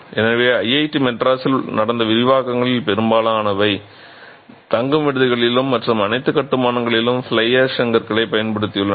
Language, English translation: Tamil, So, vast majority of the expansions that have happened in IATI madras have consciously used fly ash bricks in the hostels and in all other constructions